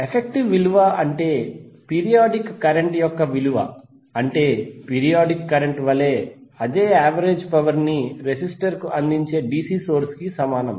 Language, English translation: Telugu, The effective value means the value for a periodic current that is equivalent to that the cigarette which delivers the same average power to the resistor as the periodic current does